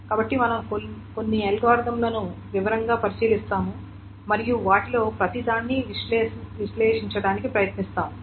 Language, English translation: Telugu, So, we will go over some of the algorithms in detail and we'll try to analyze each one of them